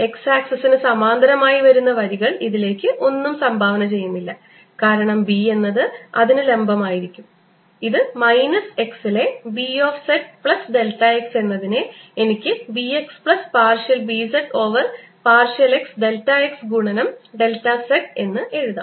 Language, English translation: Malayalam, the lines parallel to x axis do not contribute because b is perpendicular to that line, minus b of z at x plus delta x, which i can write as b x plus partial b z over partial x, delta x multiplied by delta z, and this is going to be equal to mu, zero, epsilon zero, d, e, d, t